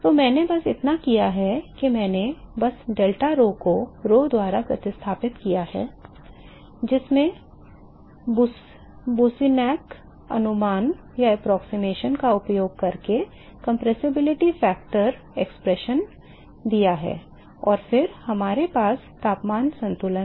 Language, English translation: Hindi, So, all I have done is I have just replace delta rho by rho with the compressibility factor expression using Boussinesq approximation and then we have the temperature balance